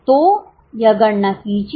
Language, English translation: Hindi, So, do this calculation